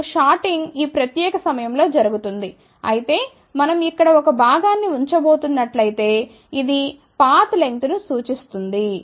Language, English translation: Telugu, Then shorting happens at this particular point whereas, if we are going to put a component over here, it will see the path length something like this